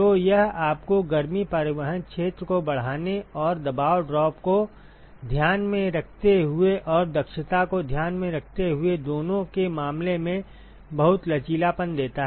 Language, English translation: Hindi, So, it gives you a lot of flexibility in terms of both increasing the heat transport area and with keeping the pressure drop in mind and keeping the efficiency in mind